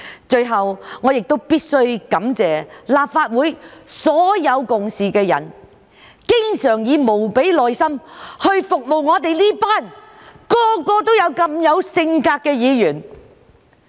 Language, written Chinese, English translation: Cantonese, 最後，我必須感謝立法會所有共事的人，經常以無比耐心服務我們這群每個都如此有性格的議員。, Finally I must thank all the co - workers in the Legislative Council for their unfailing patience in serving us as each and every one of the Legislative Council Members has their own character